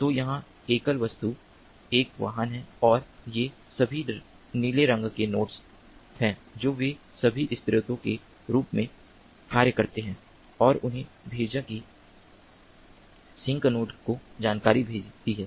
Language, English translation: Hindi, so here the single object is a vehicle and all these blue colored nodes, they all act as sources and they sent that sends information to the sink node